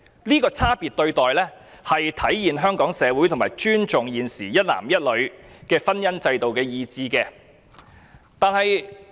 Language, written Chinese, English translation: Cantonese, 這種差別待遇體現了香港社會尊重一男一女婚姻制度的傾向。, This differential treatment shows that the Hong Kong society respects the marriage institution between one man and one woman